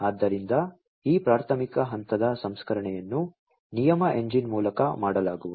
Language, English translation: Kannada, So, this preliminary level processing is going to be done by the rule engine